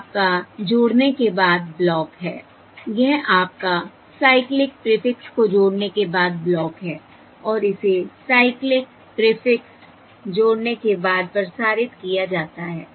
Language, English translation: Hindi, this is your block after addition of the Cyclic Prefix and this is then transmitted over the, transmitted up to the addition of the Cyclic Prefix